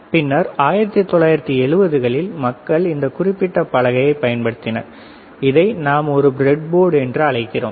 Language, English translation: Tamil, And later in 1970's people have invented this particular board, and we call this a breadboard